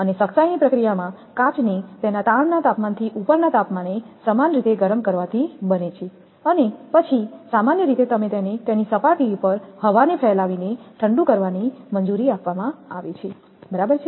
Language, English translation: Gujarati, And the toughening process consists of a heating the glass uniformly to a temperature above its strain temperature and then it is then allowed to cool you are usually by blowing air on it is surface right